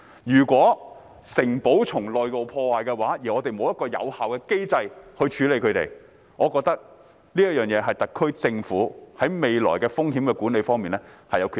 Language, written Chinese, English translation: Cantonese, 如果城堡的內部受到破壞，而我們沒有一個有效的機制處理，我認為這是特區政府在未來風險管理方面的缺失。, If the inner structure of the castle is damaged and we do not have an effective mechanism in place to deal with it I consider the SAR Government inadequate in its future risk management